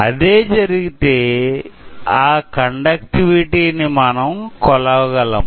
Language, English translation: Telugu, If that happens, what will, we can measure this conductivity